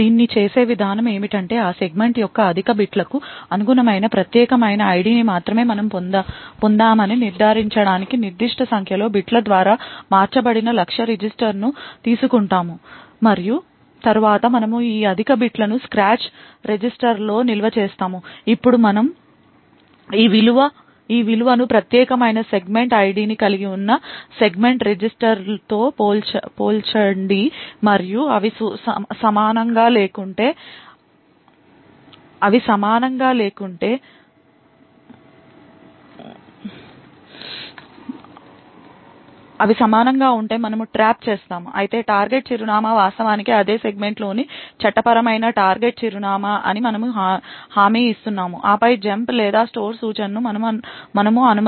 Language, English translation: Telugu, The way we do this is we take the target register shifted by a certain number of bits to ensure that we actually obtain only the unique ID corresponding to the higher bits of that segment and then we store this higher bits in a scratch register, now we compare this value with the segment register which contains the unique segment ID and if they are not equal we trap however if they are equal then we are guaranteed that the target address is indeed a legal target address within the same segment and then we would permit the jump or the store instruction to be performed